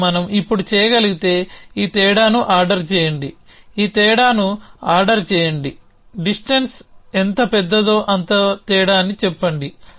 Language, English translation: Telugu, And if we can now, order this difference say the larger the dist the more the difference then the here means